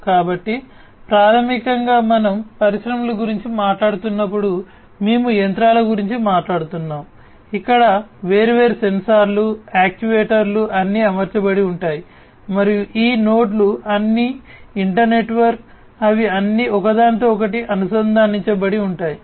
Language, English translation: Telugu, So, basically you know when we are talking about industries, we are talking about machines , where different sensors actuators are all deployed and these nodes are all inter network, they are all interconnected